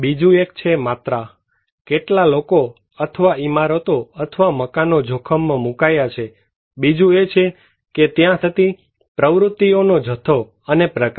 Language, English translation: Gujarati, Another one is the quantity; how many people or structure or buildings are exposed to the hazard, another one is the amount and type of activities they support